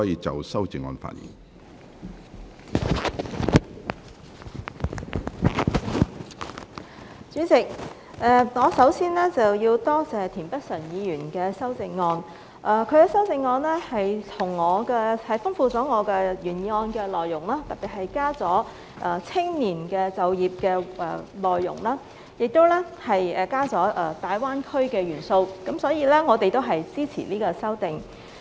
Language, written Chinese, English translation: Cantonese, 主席，我首先要多謝田北辰議員的修正案，他的修正案豐富了我原議案的內容，特別增加了青年就業的內容，亦增加了大灣區的元素，所以我們也支持這項修正案。, President first I need to thank Mr Michael TIEN for his amendment . His amendment particularly the addition of employment for young people and the element of the Greater Bay Area has enriched my original motion . We will thus support this amendment